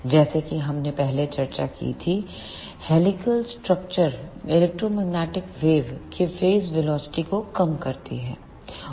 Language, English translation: Hindi, As we discussed earlier this helical structure reduces the phase velocity of the electromagnetic wave